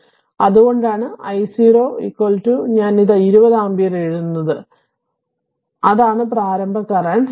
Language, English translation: Malayalam, So, and that is why I 0 is equal to I write it 20 ampere that is the initial current right